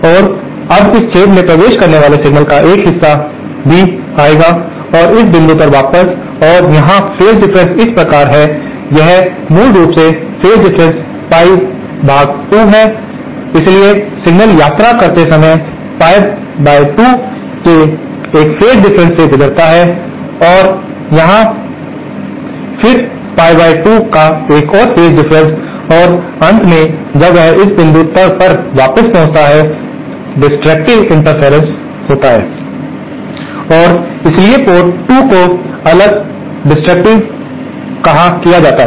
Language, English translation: Hindi, And now a part of this signal entering this hole will also come back to this point and here the phase differences are such, this is basically pie by 2 phase difference, so the signal travels undergoes a phase change of pie by 2 while travelling from here to here and then again a phase change of pie by 2 and finally when it reaches back at this point, there is destructive interference and hence port 2 is isolated or decoupled